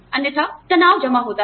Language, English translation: Hindi, Otherwise, the stress accumulates